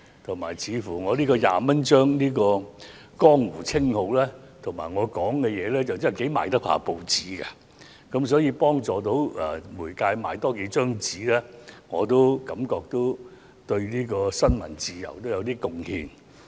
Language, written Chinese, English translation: Cantonese, 而且，我這個"廿蚊張"的江湖稱號和我的說話似乎亦頗能促進報章銷量，可以幫助媒體售出更多報章，我也因此感到自己對新聞自由有點貢獻。, Besides it looks like my nickname Twenty - dollar CHEUNG and my words are quite able to boost newspaper sales and help the press to sell more newspapers . Well this has also given me the feeling that I have contributed to press freedom in a way